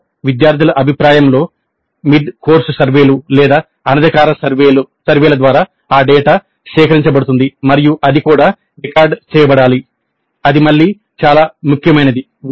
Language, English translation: Telugu, Then student feedback during the session through mid course surveys or through informal surveys that data is collected and that also must be recorded